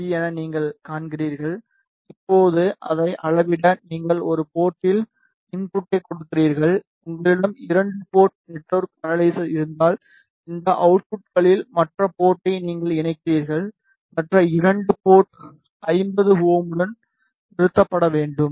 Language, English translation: Tamil, You see this is the fabricated PCB, now again just to measure it you give input at one port if you have 2 port network analyzer, then you connect the other port at any of these outputs and other 2 port should be terminated with 50 ohm